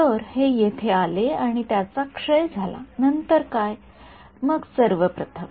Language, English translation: Marathi, So, it came over here it decayed then what, then first of all